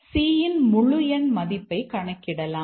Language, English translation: Tamil, Maybe we are recovering the integer value of C